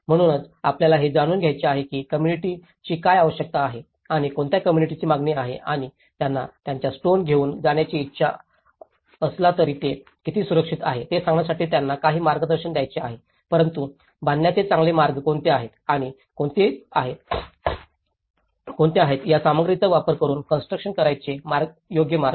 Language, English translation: Marathi, So, this is where we have to learn that what community needs and what community demands and now to give them some guidance even if they are wishing to go with the stone how safe it is but what are the better ways to construct and what are the rightful ways to construct using these materials